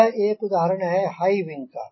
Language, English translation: Hindi, so this is another high wing example